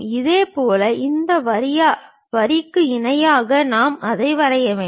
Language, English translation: Tamil, Similarly, parallel to this line we have to draw this one